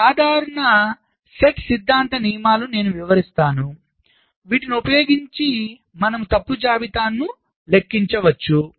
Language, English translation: Telugu, so there are some simple, set theoretic rules i will be illustrating, using which you can compute the fault lists